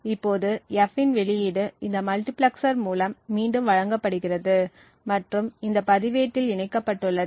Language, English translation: Tamil, Now the output of F is fed back through this multiplexer and gets latched in this register